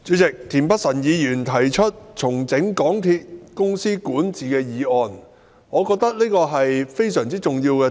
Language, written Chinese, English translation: Cantonese, 代理主席，田北辰議員提出"重整港鐵公司管治"的議案，我認為這是非常重要的議題。, Deputy President Mr Michael TIEN has introduced the motion on Restructuring the governance of MTR Corporation Limited which in my view is a very important topic of discussion